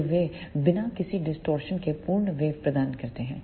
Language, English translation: Hindi, So, they provides the complete waveform without any distortion